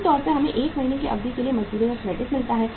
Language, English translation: Hindi, Normally we get the credit of wages for a period of 1 month